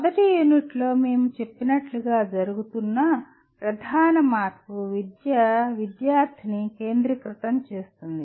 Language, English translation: Telugu, As we said right in the first unit, the major shift that is taking place is making the education student centric